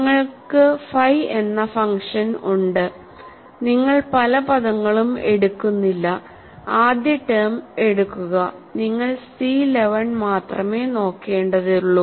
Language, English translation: Malayalam, you have the function phi, you do not take many terms just take the first term, and you will only worry about C 1 1